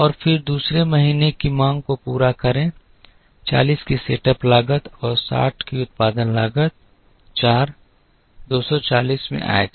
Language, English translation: Hindi, And then meet the second month’s demand alone by incurring a setup cost of 40 and a production cost of 60 into 4, 240